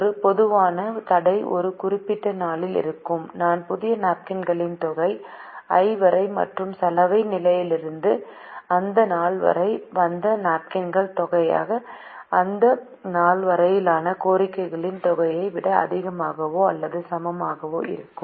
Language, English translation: Tamil, a typical constraint would look like on on a particular day i, the sum of the new napkins upto i plus the sum of the napkins that have come from laundry upto that day is greater than or equal to sum of the demands upto that day